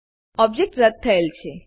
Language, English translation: Gujarati, The object is deleted